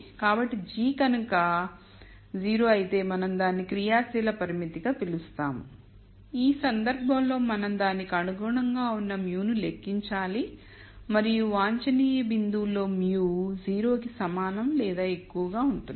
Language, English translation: Telugu, So, if g is 0 we call that as an active constraint in which case we have to calculate the mu corresponding to it and in the optimum point mu will be greater than equal to 0